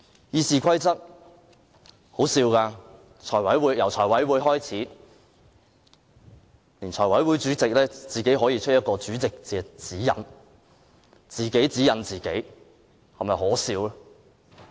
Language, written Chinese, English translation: Cantonese, 《議事規則》是很可笑的，由財務委員會開始，財委會主席可以自行發出一份主席指引，是否可笑？, The issue about RoP is ridiculous . The farce started with the Finance Committee as the Chairman of the Finance Committee issued on his own accord a guideline for the Chairman